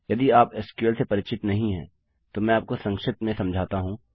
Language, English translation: Hindi, In case youre not familiar with sql, let me brief you